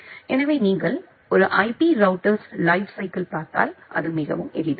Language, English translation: Tamil, So, if you look into the lifecycle of a router apparently it is very simple